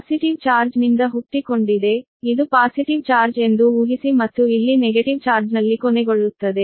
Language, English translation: Kannada, it is made like this: originating from the positive charge assume this is a positive charge and terminating here at the negative charge, right